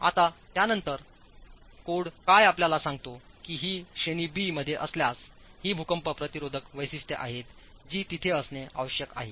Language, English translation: Marathi, The code then tells you that if it is in category B these are the earthquake resistant features that must be there